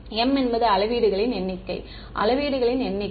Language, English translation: Tamil, m is the number of measurements Number of measurements